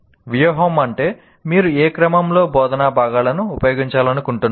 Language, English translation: Telugu, Strategy means in what sequence you want to do, which instructional components you want to use